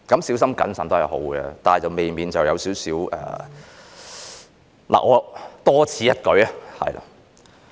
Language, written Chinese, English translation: Cantonese, 小心謹慎是好的，但未免有點多此一舉......, It is better safe than sorry but this amendment may be superfluous What?